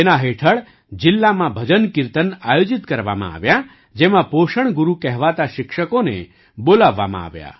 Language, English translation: Gujarati, Under this, bhajankirtans were organized in the district, in which teachers as nutrition gurus were called